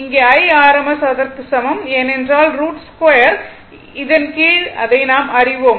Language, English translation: Tamil, So, here I rms is equal to it is because, we have seen know this under root square we have to take